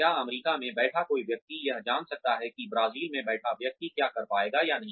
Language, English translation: Hindi, Can a person sitting in the United States know, what a person sitting in Brazil, will be able to do or not